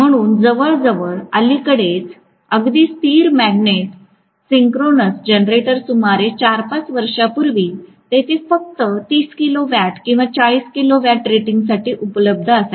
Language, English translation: Marathi, So Permanent Magnet Synchronous Generator until almost recently even before about 4 5 years ago there used to be available only for about 30 kilo watt or 40 kilo watt rating